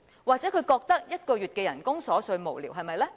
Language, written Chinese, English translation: Cantonese, 或許他覺得1個月的薪酬是瑣碎無聊，對嗎？, Perhaps he thinks that one - month salary is trivial and senseless right?